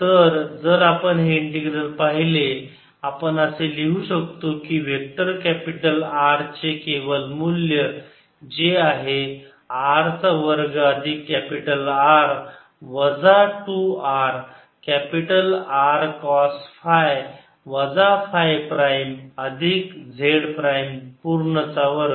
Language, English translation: Marathi, so if we see this integral, it can write vector mode of vector capital r, which is r square capital r square minus two r capital r, cos phi minus phi prime, z minus z prime